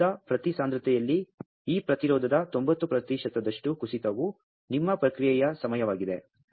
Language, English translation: Kannada, The fall 90 percent of this resistance at each concentration of the gas so that is your response time